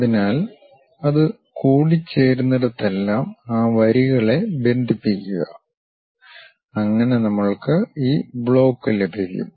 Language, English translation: Malayalam, So, wherever it is intersecting connect those lines so that, we will have this block